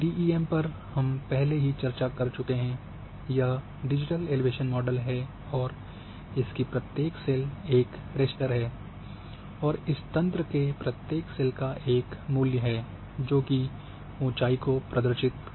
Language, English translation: Hindi, DEM is a discussed already that is a digital elevation model and each cell is a raster at a grid and each cell of a grid representing an elevation